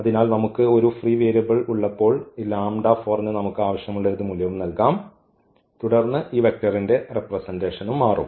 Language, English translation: Malayalam, So, when we have a free variable we can assign any value we want to this lambda 4 and then our representation of this given vector will also change